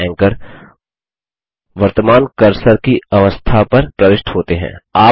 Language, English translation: Hindi, The anchor for the note is inserted at the current cursor position